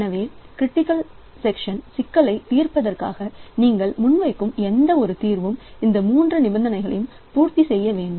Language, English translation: Tamil, So, any solution that you propose to the critical section problem it must satisfy these three conditions